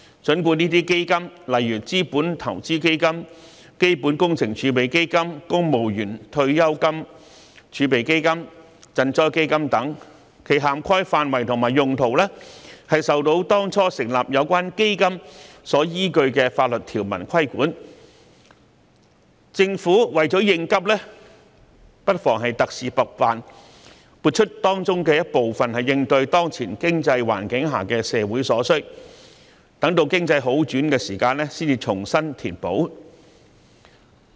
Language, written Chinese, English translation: Cantonese, 儘管這些基金如資本投資基金、基本工程儲備基金、公務員退休金儲備基金、賑災基金等，其涵蓋範圍及用途均受到當初成立有關基金時所依據的法律條文所規管，但政府為了應急也不妨特事特辦，撥出當中一部分應對當前經濟環境下的社會所需，待經濟好轉時才重新填補。, Although the scope and use of these Funds such as the Capital Investment Fund Capital Works Reserve Fund Civil Service Pension Reserve Fund Disaster Relief Fund etc are subject to the statutory provisions which formed the basis for their establishment at the outset to meet urgent needs the Government could make special arrangements under special circumstances by allocating a portion of these Funds to cater to social needs in the current economic conditions and replenish these Funds later when the economy recovers